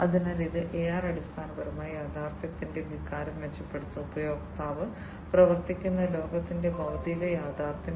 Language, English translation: Malayalam, So, it AR basically will improve the feeling of the reality the physical reality of the world in which the user is operating